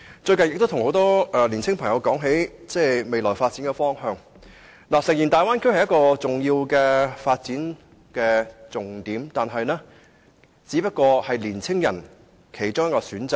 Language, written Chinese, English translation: Cantonese, 最近，我與很多年輕朋友談到香港的未來發展方向，大家都同意大灣區是一個重點，但也只不過是青年人的其中一個選擇而已。, Recently I have talked with some young people about Hong Kongs directions of development in the future . We generally agree that the Bay Area is a major option but it should just be one of the many choices for young people